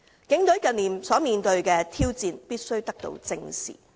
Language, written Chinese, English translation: Cantonese, 警隊近年所面對的挑戰必須得到正視。, The challenges faced by the Police Force in recent years must be squarely addressed